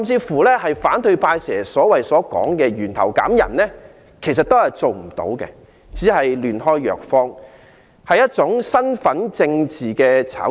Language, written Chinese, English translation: Cantonese, 反對派經常說的"源頭減人"，其實都是做不到的，只是"亂開藥方"，是一種身份政治的炒作。, Population reduction at source which is often suggested by the opposition is indeed unachievable; it is only a fallacious prescription and a kind of hype in identity politics